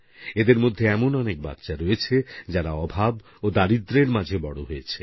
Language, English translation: Bengali, Many of these children grew up amidst dearth and poverty